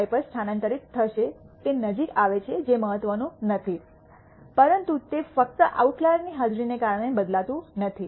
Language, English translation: Gujarati, 5, it comes closer that is not what is important, but it does not change much just because of the presence of the outlier